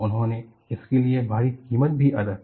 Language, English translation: Hindi, They also paid a heavy price for it